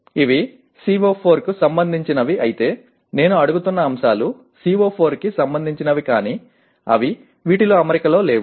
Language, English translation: Telugu, While these are related to CO4 that means the items that I am asking are relevant to CO4 but they are not in alignment with this